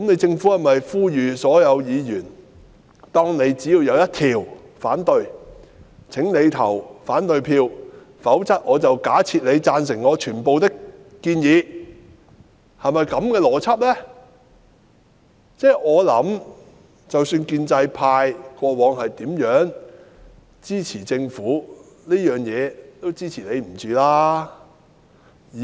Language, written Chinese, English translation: Cantonese, 政府是否呼籲所有議員，只要反對其中一項便應投反對票，否則便假設我們贊成政府的全部建議？我想即使建制派過往如何支持政府，在這事上他們也是不能支持的。, Is the Government calling on all Members to cast an opposition vote even if they take exception to only one of the proposals or else we would be presumed to be supportive of all the proposals presented by the Government?